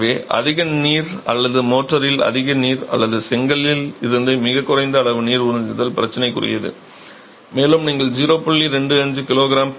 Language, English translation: Tamil, So, too much water or either too much water in the mortar or too low absorption by the brick is problematic